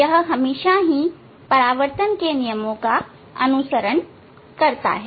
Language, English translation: Hindi, It is all the time it follows the laws of reflection